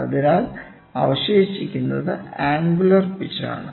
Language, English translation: Malayalam, So, what is left is the angular pitch